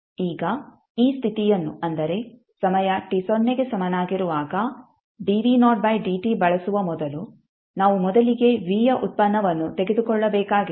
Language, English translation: Kannada, Now before using this condition that is the dv by dt at time t is equal to 0 we have to first take the derivate of v